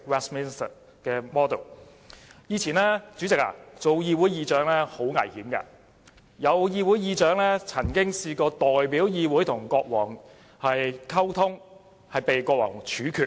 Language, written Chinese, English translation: Cantonese, 主席，以前出任議會議長是很危險的事，曾有議會議長代表議會與國王溝通，結果被國王處決。, President it was perilous to be the Speaker in the past as historical records showed that certain Speakers were executed after they tried to establishment communication with the King as representatives of the Parliament